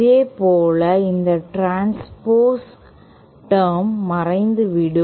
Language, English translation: Tamil, Similarly this transposed term will also vanish